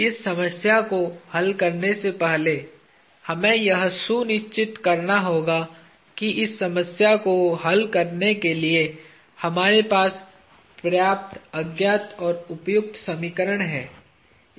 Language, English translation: Hindi, Before starting to solve this problem, we have to make sure that we have enough unknowns and appropriate equations to solve this problem